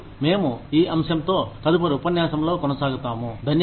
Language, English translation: Telugu, And, we will continue with this topic, in the next lecture